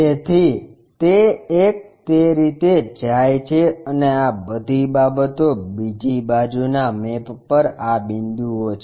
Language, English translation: Gujarati, So, that one goes in that way and all these things on the other side maps to this point